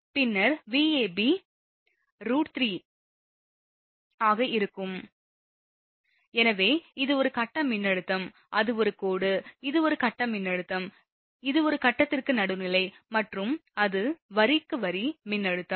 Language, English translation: Tamil, Then Vab will be root 3, because it is a phase voltage it is a line, it is a phase voltage that is phase to neutral and it is line to line voltage